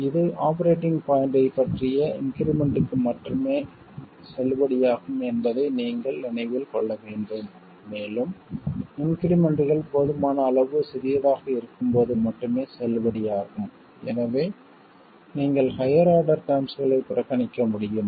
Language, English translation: Tamil, You have to remember that this is valid only for increments about the operating point and also it's valid only when the increments are sufficiently small so that you can neglect the higher order terms